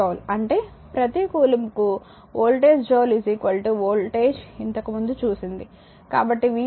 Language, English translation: Telugu, 67 joule per coulomb that is the voltage joule per coulomb is equal to voltage we have seen earlier So, v is equal to 26